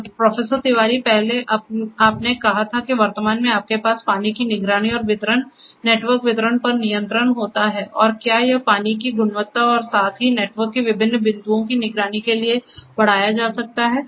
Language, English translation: Hindi, So, Professor Tiwari, earlier you said that at present what you have is the water monitoring particularly with respect to distribution, control over the distribution over the network and can it be extended for monitoring the water quality as well at different points of the network